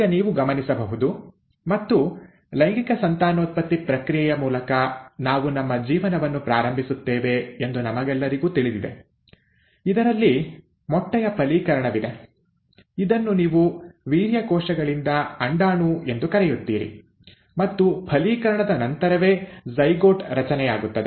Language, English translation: Kannada, Now you would notice and we all know this that we start our life through the process of sexual reproduction, wherein there is fertilization of the egg, which is also what you call as the ovum by the sperm cells, and it is after fertilization that there is a formation of a zygote